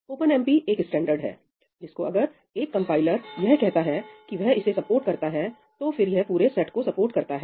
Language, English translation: Hindi, OpenMP is a standard, which if a compiler says ‘it supports’, it supports the entire set